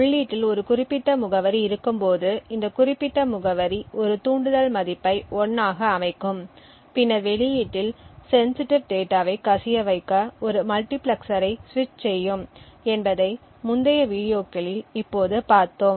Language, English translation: Tamil, Now we have seen examples of this in the previous videos we had seen how when a specific address is present in the input this specific address would then set a trigger value to 1 which would then switch a multiplexer to leak sensitive data to the output